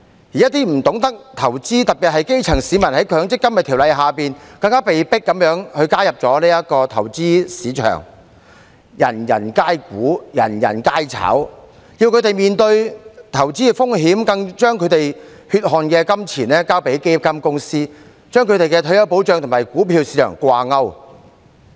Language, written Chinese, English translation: Cantonese, 此外，一些不懂得投資的市民，特別是基層市民，在《強制性公積金計劃條例》下更被迫加入這個投資市場，"人人皆股，人人皆炒"，政府要他們面對投資風險，更將他們的血汗金錢交予基金公司，將他們的退休保障與股票市場掛鈎。, Besides some people who do not know how to invest especially the grass roots are even forced to join this investment market under the Mandatory Provident Fund Schemes Ordinance such that everyone becomes an equity investor and speculator . The Government forces them to face investment risks and to surrender their hard - earned money to fund companies thereby linking their retirement protection to the performance of the equity market